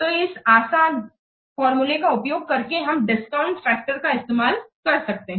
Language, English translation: Hindi, So, in the this is a simple formula by using which we can use this discount factor